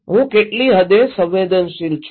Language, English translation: Gujarati, What extent I am vulnerable